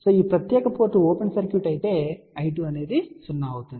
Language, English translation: Telugu, If this particular port is open circuit then I 2 will be equal to 0